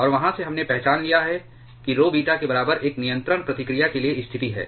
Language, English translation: Hindi, And from there we have identified rho is equal to beta is the condition for a control reaction